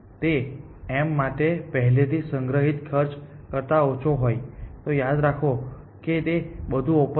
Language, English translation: Gujarati, If this is less than the cost that was already stored for m, remember it is all open